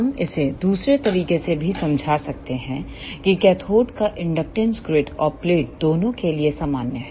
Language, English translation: Hindi, We can explain this with another way also that the inductance of cathode is common to both grid and plate